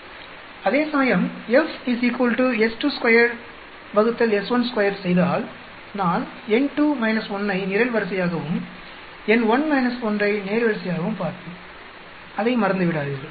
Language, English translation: Tamil, Whereas, if I do F is equal to s 2 square by s 1 square, then I will look at n2 minus 1 as the column and n1 minus 1 as the row do not forget that